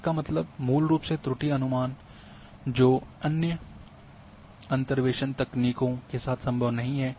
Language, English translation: Hindi, That means, basically error estimations which is not possible with other interpolation techniques